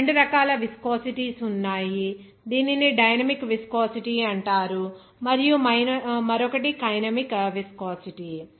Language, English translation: Telugu, Now, there are 2 types of viscosity, it is called dynamic viscosity and another is kinematic viscosity